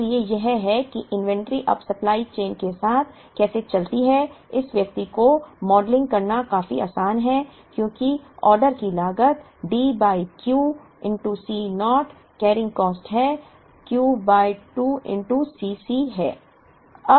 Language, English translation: Hindi, So, this is how the inventory moves along the supply chain now, modeling this person is reasonably easy because the order cost is D by Q into c naught carrying cost is Q by 2 into C c